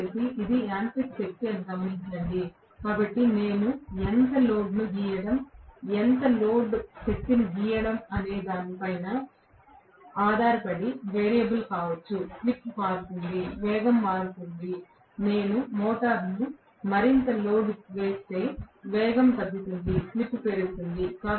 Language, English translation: Telugu, And please note this is mechanical power, so this can be a variable 1 depending upon how much of load I am drawing, how much of load power I am drawing, depending upon that it is going to change because the slip will change, the speed will change, if I load the motor more and more the speed will come down, the slip will increase